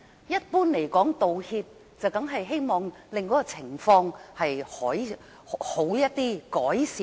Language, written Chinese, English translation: Cantonese, 一般而言，道歉是希望情況變好，有所改善。, In general we make an apology as we hope to improve the situation